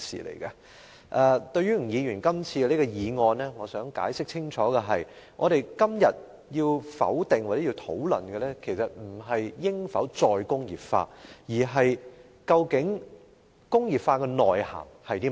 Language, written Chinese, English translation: Cantonese, 關於吳議員今次這項議案，我想解釋清楚的是，我們今天要否決或討論的不是應否實現"再工業化"，而是工業化的內涵是甚麼？, Regarding the motion proposed by Mr Jimmy NG this time around I would like to explain clearly that what we are going to negate or discuss today is not whether or not re - industrialization should be implemented . Instead we should ask What is the substance of re - industrialization?